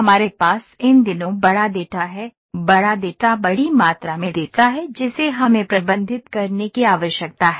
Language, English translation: Hindi, We have big data these days; big data is the large amount of data that we need to manage